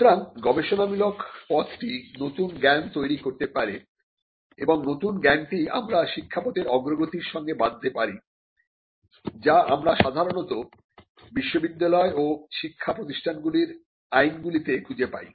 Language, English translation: Bengali, So, the research path could create new knowledge and this new knowledge is what we can tie to the advancement of learning path that we normally find in statutes establishing universities and educational institutions